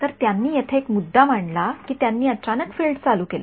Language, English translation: Marathi, So, they make a point here that because, they turned on the field abruptly right